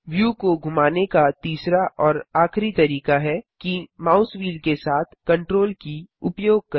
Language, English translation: Hindi, Third and last method of Panning the view, is to use the CTRL key with the mouse wheel